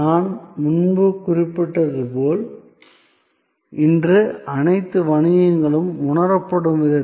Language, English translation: Tamil, And as I mentioned earlier, in the way all businesses are perceived today